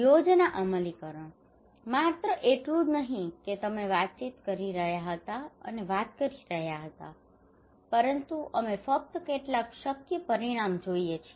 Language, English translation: Gujarati, Plan implementations; not only that you were talking and talking and talking but we want only see some feasible outcome